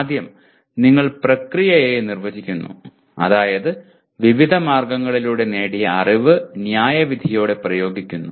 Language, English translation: Malayalam, The first you define the process that is knowledge gained through various means is applied with judgment but what is the goal actually